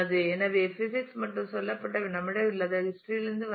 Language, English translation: Tamil, So, physics and said is from history which we did not have